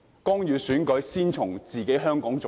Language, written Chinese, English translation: Cantonese, 干預選舉，先從香港做起。, Interference in the election starts right in Hong Kong